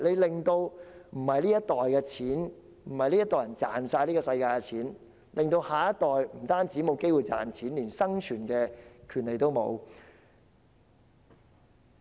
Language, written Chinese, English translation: Cantonese, 我們這一代人不是要賺盡全世界的金錢，致令下一代不但沒有賺錢的機會，連生存的權利也沒有。, People of this generation are not supposed to pocket every penny that can be earned and deprive the next generation of an opportunity to make money and even the right to exist